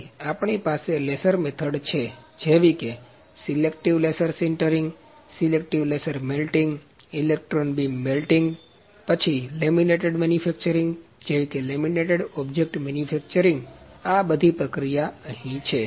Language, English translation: Gujarati, Then also we have laser methods like selective laser sintering, selective laser melting, electron beam melting, then laminated manufacturing like laminate object manufacturing, all those methods are there